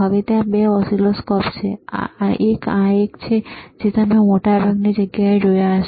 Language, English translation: Gujarati, Now there are 2 oscilloscopes, one is this one, which you may have seen in most of the most of the places right lot of places